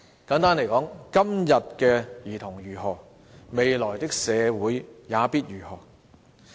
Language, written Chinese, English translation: Cantonese, 簡單來說，今天的兒童如何，未來的社會也必如何。, In short how children are doing today definitely presages how society will be doing in the future